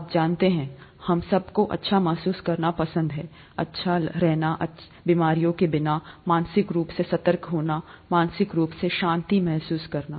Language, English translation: Hindi, We all, all of us would like to feel good you know, be good without diseases, mentally be alert, mentally be mentally feel at peace and so on